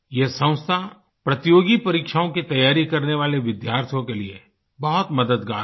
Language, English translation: Hindi, This organisation is very helpful to students who are preparing for competitive exams